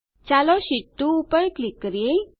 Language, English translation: Gujarati, Lets click on Sheet2